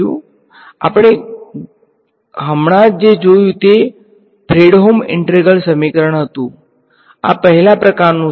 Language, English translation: Gujarati, So, what we just saw was a Fredholm integral equation, this is of the 1st kind